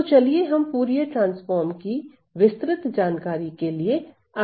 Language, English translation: Hindi, So, let us now move onto more details in Fourier transform